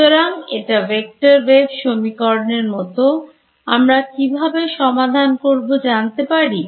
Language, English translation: Bengali, So, its like a vector wave equation do I know how to solve this we do